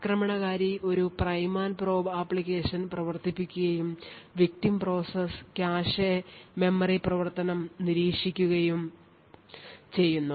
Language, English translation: Malayalam, Thus, the attacker runs a prime and probe application and is able to monitor the cache and memory activity by the victim process